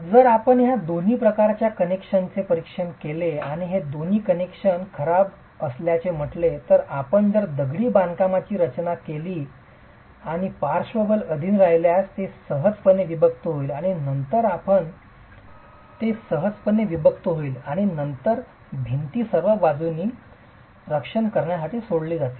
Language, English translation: Marathi, So, if you were to examine these two types of connections and say both these connections are poor, then if you take a masonry structure and subject it to lateral forces, it will easily separate and then the walls are all left by themselves to defend the lateral forces